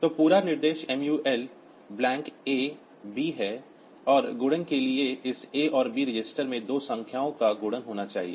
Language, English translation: Hindi, So, the whole instruction is MUL blank A B and for multiplication this A and B registers should have the two numbers to be multiplied